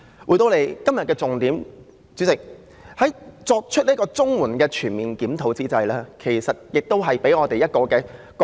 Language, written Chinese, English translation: Cantonese, 回到今天的重點，主席，在要求政府對綜援進行全面檢討之際，今天亦讓我們有一個覺醒。, President let me come back to the main subject today . While calling on the Government to conduct a comprehensive review of CSSA we have also been awakened today